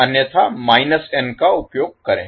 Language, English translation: Hindi, Otherwise we will use minus n